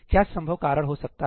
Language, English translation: Hindi, What could be the possible reasons